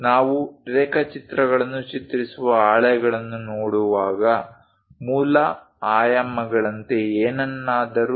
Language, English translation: Kannada, Whenever we are looking at the drawings drawing sheets, if something like the basic dimensions represented